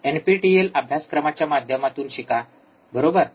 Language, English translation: Marathi, Take the nptelNPTEL courses, learn, right